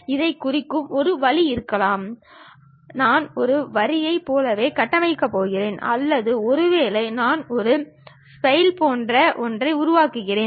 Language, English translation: Tamil, One way of representing this one is maybe, I will be just going to construct like a line or perhaps, I just construct something like a spline